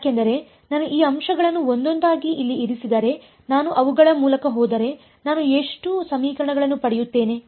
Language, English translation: Kannada, Why because if I put these points in over here one by one if I go through them how many equations will I get